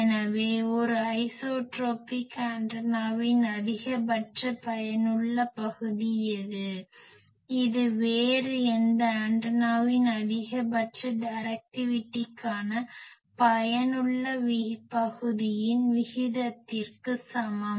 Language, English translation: Tamil, So, what is the maximum effective area of an isotropic antenna, it is equal to the ratio of the maximum effective area, to maximum directivity of any other antenna